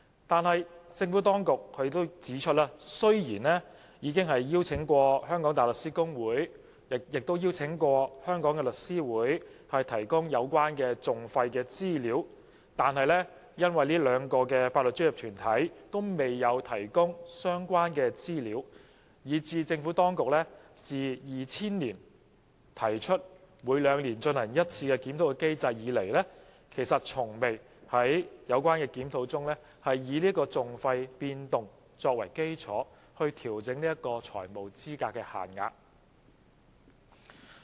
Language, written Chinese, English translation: Cantonese, 然而，政府當局指出雖然已邀請香港大律師公會和香港律師會提供有關訟費的資料，但這兩個法律專業團體均未有提供相關資料。於是，即使政府當局在2000年提出每兩年進行一次檢討的機制，多年來其實從未在有關檢討中因應訟費變動，調整財務資格限額。, However the Administration points out that while it has sought the assistance of the Hong Kong Bar Association and The Law Society of Hong Kong to provide information on private litigation costs the information is not available from the two legal professional bodies and hence no adjustment has been made on the FELs on the basis of changes in litigation costs over the years since the biennial review mechanism was introduced in 2000